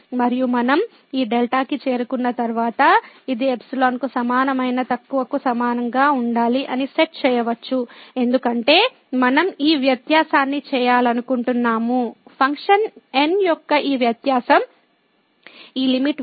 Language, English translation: Telugu, And once we reach to this delta, then we can set that this must be equal to less than equal to epsilon because we want to make this difference; this difference here of the function minus this limiting value less than epsilon